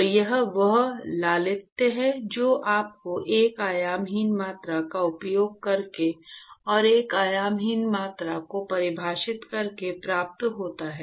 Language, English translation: Hindi, So, this is the elegance that you get by using a dimensionless quantity and defining a dimensionless quantity